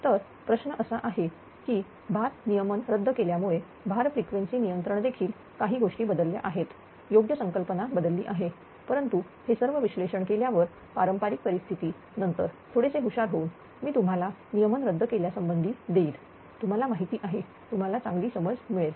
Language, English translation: Marathi, So, question is that ah load frequency control ah because of the deregulation also certain things have changed right ah concept has changed, but after making ah all these analysis for conventional scenario conventional scenario only, then little bit clever, I will give you regarding the deregulation such that you know you will have a better understanding